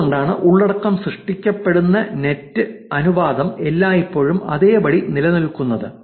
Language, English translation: Malayalam, That is why the proportion of the net the content is getting generated is always remaining the same